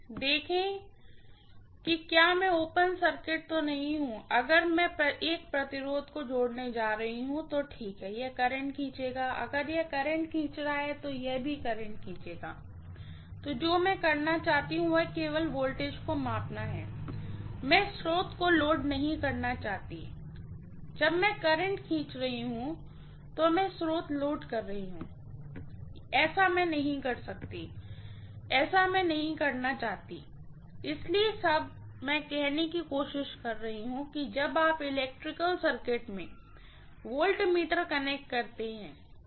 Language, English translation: Hindi, See if I do not open circuited, if I am going to connect a resistance here, okay, this will draw current, if this is drawing a current, this will also draw current, what I want to do is only to measure the voltage, I do not want to load the source, when I am drawing current I am loading the source, I may not, I do not want to do that, that is all I am trying to say, when you connect the voltmeter across your electrical circuit, what are you trying to do